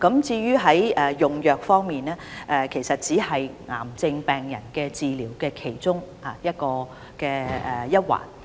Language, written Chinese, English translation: Cantonese, 至於用藥方面，其實只是治療癌症病人的其中一環。, Regarding medication this is only part of the treatment for cancer patients